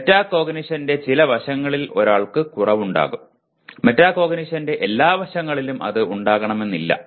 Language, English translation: Malayalam, One can be deficient in some aspect of metacognition, not necessarily in all aspects of metacognition